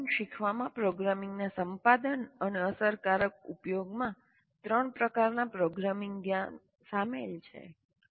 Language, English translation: Gujarati, Learning programming involves the acquisition and effective use of three interrelated types of programming knowledge